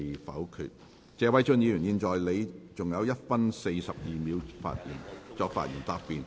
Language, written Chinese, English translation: Cantonese, 謝偉俊議員，你還有1分42秒作發言答辯。, Mr Paul TSE you still have 1 minute 42 seconds to reply